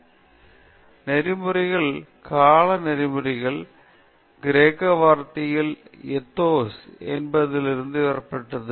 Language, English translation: Tamil, So, ethics the term ethics is derived from the Greek word ethos which means character